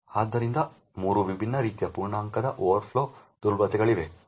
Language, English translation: Kannada, So, there are 3 different types of integer overflow vulnerabilities